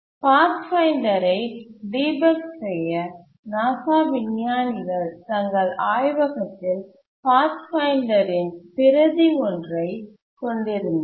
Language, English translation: Tamil, To debug the Pathfinder, the NASA scientists, they had a replica of the Pathfinder in their lab